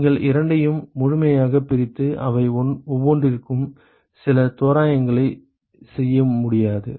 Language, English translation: Tamil, You cannot completely separate the two and assume make some approximations for each of them